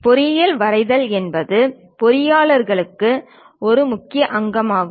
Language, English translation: Tamil, Engineering drawing is essential component for engineers